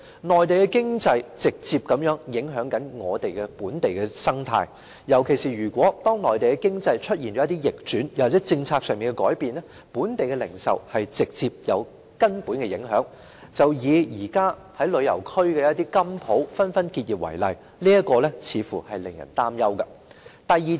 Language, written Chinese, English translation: Cantonese, 內地經濟直接影響本地生態，尤其是當內地經濟出現逆轉，又或政策上的改變，本地零售業將會直接受到根本的影響，以現時旅遊區的金鋪紛紛結業為例，這情況似乎是令人擔憂的。, The economy in the Mainland directly affects the local ecology . When the Mainland experiences an economic downturn or policy changes our local retail sector will face direct and substantial impact . Goldsmith shops in tourist areas closing down one after another recently is an example